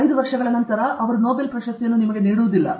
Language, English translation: Kannada, After 5 years, they don’t give Nobel prize